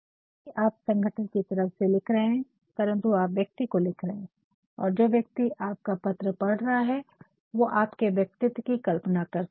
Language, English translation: Hindi, Even though you are writing from the side of the organization you are writing to a person and the other person by reading your letter also starts imagining about your personality